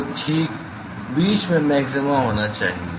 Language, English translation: Hindi, So, you expected to have a maxima at the middle